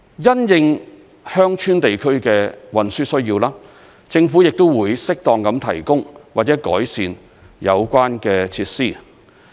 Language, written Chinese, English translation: Cantonese, 因應鄉村地區的運輸需要，政府亦會適當地提供或改善有關設施。, In view of the transportation need in rural areas the Government will likewise provide or improve the relevant facilities where appropriate